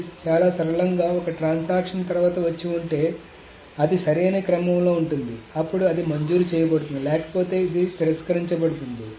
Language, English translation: Telugu, So very simply if a transaction comes after and then it is in the correct order then it is granted otherwise it is rejected